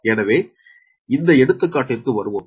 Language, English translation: Tamil, so come to this example